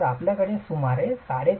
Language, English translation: Marathi, If you have brick that is about 3